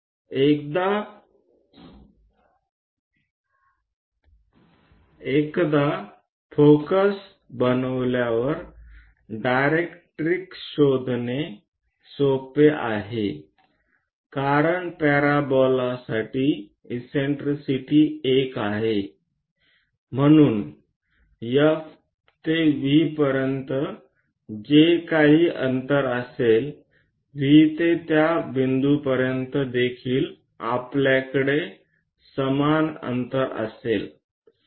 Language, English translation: Marathi, Once focus is now directrix is easy to find out; because for parabola eccentricity is one, so from F to V whatever the distance, from V to that point also same distance we will be going to have